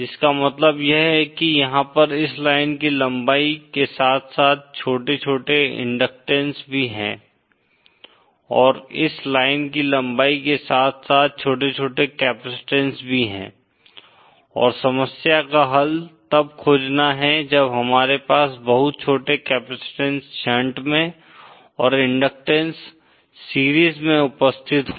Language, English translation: Hindi, What this means is there are small small inductances all along the length of this line and there are also small small capacitances all along the length of this line and the problem is to find the solution when we have such very small capacitances in shunt and series inductance is present